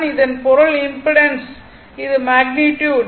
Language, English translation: Tamil, And impedance that means, this is the magnitude